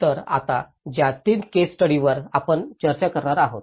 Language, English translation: Marathi, So, the three case studies which we will be discussing now